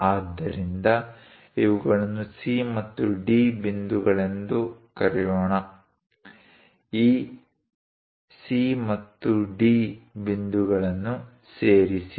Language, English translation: Kannada, So, let us call points these as C and D; join these points C and D